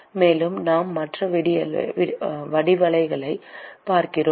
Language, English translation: Tamil, And we look at other geometries